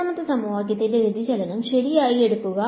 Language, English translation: Malayalam, Take the divergence of the second equation right